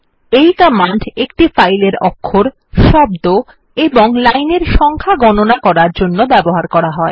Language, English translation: Bengali, This command is used to count the number of characters, words and lines in a file